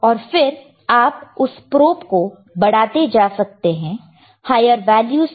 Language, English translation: Hindi, And you can keep on increasing the this probe to higher values